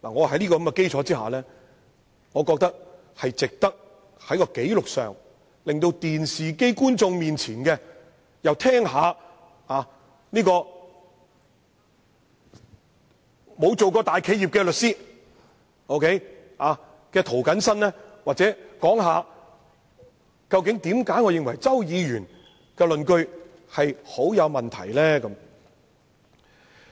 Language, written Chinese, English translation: Cantonese, 在這個基礎之上，我認為也值得在紀錄上，讓電視機前的觀眾聽一聽沒有當過大企業法律顧問的涂謹申議員，談談他為何認為周議員的論據相當有問題。, On this basis I consider it worth putting into record what I have to say about this so that viewers in front of the television may also hear it from me who has never been a legal adviser of a big enterprise and understand why I consider Mr CHOWs arguments unjustified